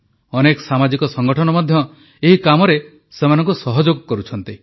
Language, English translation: Odia, Many social organizations too are helping them in this endeavor